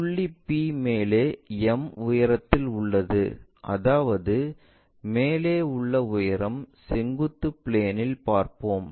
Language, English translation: Tamil, Then point P is at a height m above ; that means, that height above we will see it in the vertical plane